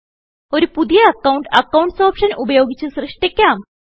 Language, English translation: Malayalam, Now, lets create a new account using the Accounts option